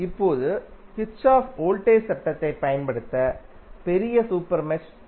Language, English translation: Tamil, Now, larger super mesh can be used to apply Kirchhoff Voltage Law